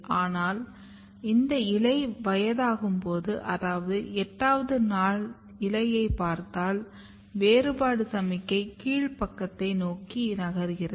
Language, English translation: Tamil, But when this leaf becomes older, so if you look in the 8 day old leaf what happens that the differentiation signal is migrating towards the down side